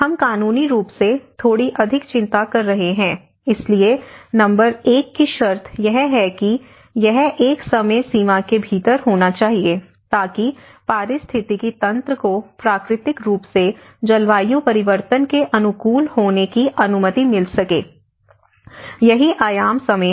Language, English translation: Hindi, But now, when we are today we are talking a little more of a legal concern as well so, the number 1 condition that it should take place within a time frame sufficient to allow ecosystems to adapt naturally to climate change, this is where the time dimension